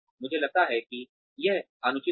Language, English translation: Hindi, That, I think would be unreasonable